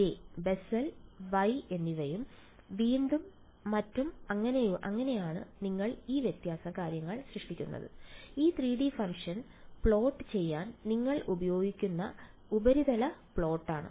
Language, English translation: Malayalam, So, they have Bessel J, Bessel Y and so on that is how you generate this different things and the surface plot is what you will used to plot this 3 D function ok